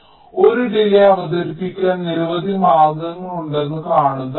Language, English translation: Malayalam, so see, there are so many ways to introduce a delay